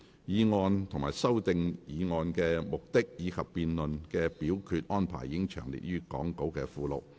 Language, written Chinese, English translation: Cantonese, 議案及修訂議案的目的，以及辯論及表決安排已詳列於講稿附錄。, The purposes of the motions and the amending motion and the debate and voting arrangements are set out in the Appendix to the Script